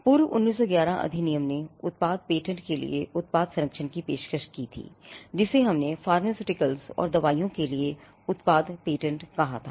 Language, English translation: Hindi, Earlier the 1911 Act had offered product protection for product patents what we called product patents for pharmaceutical and drugs, pharmaceuticals and drugs